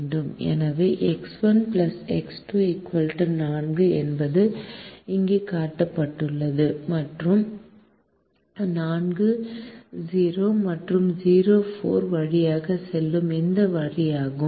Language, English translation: Tamil, so x one plus x two equal to four, is this line which passes through four comma zero and zero comma four, which are shown here